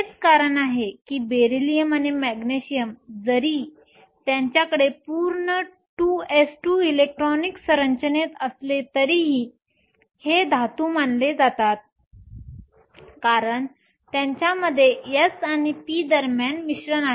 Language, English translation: Marathi, That is the reason where Beryllium or Magnesium even though they have a full 2 s 2 electronic configuration are still considered metals, because they have mixing between the s and the p